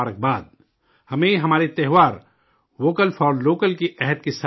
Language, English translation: Urdu, We have to celebrate our festival with the resolve of 'Vocal for Local'